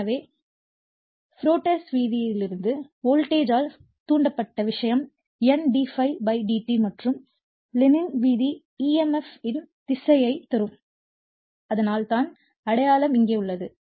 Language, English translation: Tamil, So, from the Faradays law the voltage induced thing is N d∅/dt and Lenz d I or what you call Lenz’s law will give you the your direction of the emf so, that is why minus sign is here